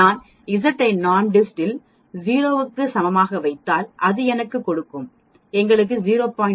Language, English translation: Tamil, When I put Z is equal to 0 in NORMSDIST it will give me us point 5 that is this area correct because this total area is 1